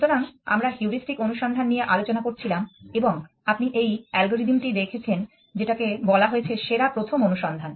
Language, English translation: Bengali, So, we were looking at heuristic search and you saw this algorithm column best first search